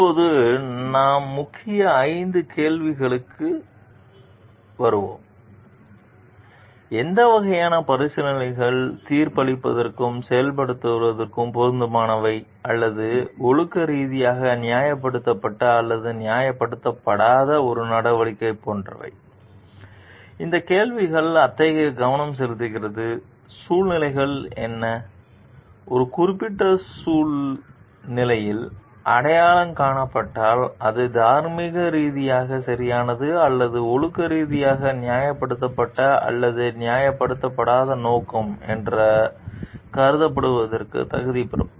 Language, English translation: Tamil, Now, we will come to the key question 5, like what kinds of considerations are relevant to judging and act or a course of action morally justified or unjustified So, this question focuses on like, the what are the situations what are the things which if identified in a particular situation would qualify it to be considered as motive morally right or morally justified or not justified